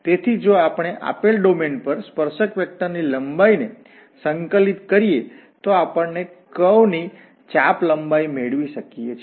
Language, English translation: Gujarati, So if we integrate this length of the tangent vector over the given domain then we can get the arc length of a curve